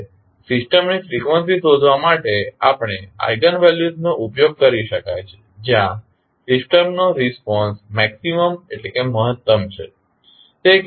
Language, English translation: Gujarati, Now, eigenvalues can also be used in finding the frequencies of the system where the system response is maximum